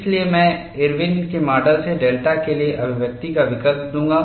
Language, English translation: Hindi, So, I will substitute the expression for delta from Irwin’s model